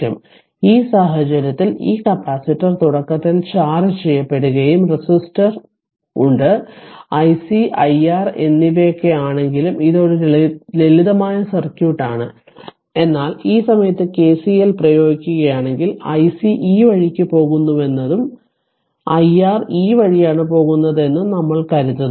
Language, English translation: Malayalam, So, in this case this, this capacitor was initially charged and resistor is there; all though i C and i R it is a it is a simple circuit, but at this point if you apply KCL, I if you take like this that i C is going this way and i R is going this way both are leaving